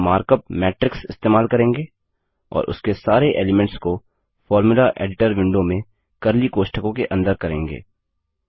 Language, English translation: Hindi, We will use the markup Matrix and include all its elements within curly brackets in the Formula Editor window